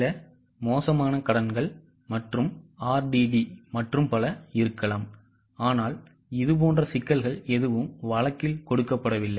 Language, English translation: Tamil, There might be some bad dates and RDD and so on, but no such complications are given in the case